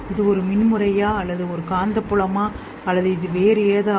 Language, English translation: Tamil, Is it an electrical pattern or a magnetic field or is it something else